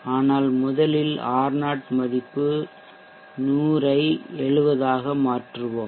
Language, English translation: Tamil, But first let us change the R0 value from 100 to 70